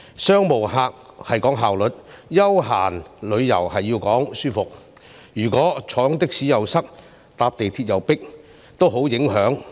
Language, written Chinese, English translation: Cantonese, 商務旅客講求效率，休閒旅遊講求舒適，如果坐的士塞車，乘坐港鐵又擠迫，都會帶來很大影響。, Business travellers emphasize efficiency and leisure travel emphasizes comfort . If taxis are congested or MTR trains are crowded it will have a great impact